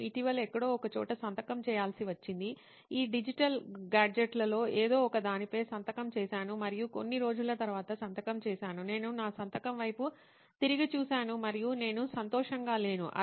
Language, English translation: Telugu, I recently had to sign somewhere okay one of this digital gadgets and I signed after few days I looked back at my signature and I was like what